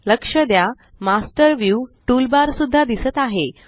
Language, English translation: Marathi, Notice, that the Master View toolbar is also visible